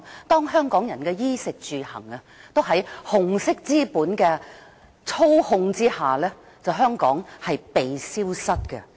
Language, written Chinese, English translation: Cantonese, 當香港人的衣食住行都受到紅色資本操控，香港便會"被消失"。, When everything from clothing food housing to transport is controlled by red capital Hong Kong will be made to disappear